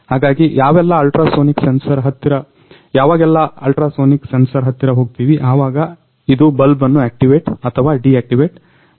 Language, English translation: Kannada, So, whenever we go near the ultrasonic sensor, it will activate the bulb or it will deactivate the bulb